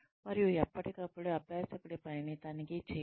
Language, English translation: Telugu, And, check the work of the learner, from time to time